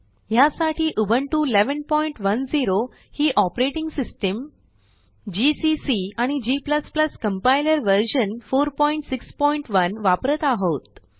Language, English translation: Marathi, To record this tutorial, I am using: Ubuntu 11.10 as the operating system gcc and g++ Compiler version 4.6.1 in Ubuntu